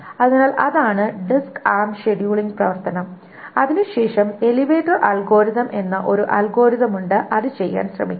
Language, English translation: Malayalam, So that is a disk arm scheduling operation and then there is an algorithm called the elevator algorithm which tries to do that